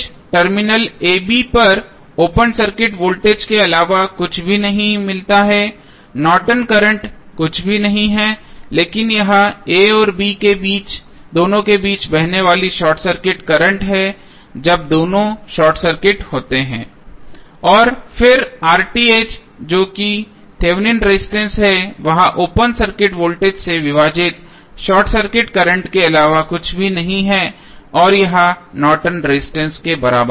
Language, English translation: Hindi, We get V Th is nothing but open circuit voltage across the terminal a, b Norton's current is nothing but short circuit current flowing between a and b when both are short circuited and then R Th that is Thevenin resistance is nothing but open circuit voltage divided by short circuit current and this would be equal to Norton's resistance